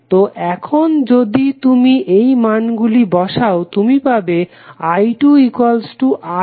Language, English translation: Bengali, Now, we have to find the values from i 1 to i 4